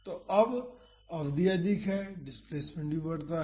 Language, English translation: Hindi, So, now, the duration is more so, the displacement also grows